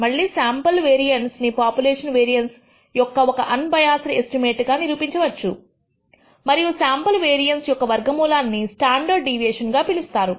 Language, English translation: Telugu, And again you can prove that the sample variance is an unbiased estimated estimate of the population variance and the square root of the sample variance is also known as the standard deviation